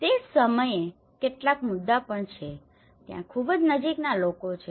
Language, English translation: Gujarati, There are also some issues at the same time there is a very close knit families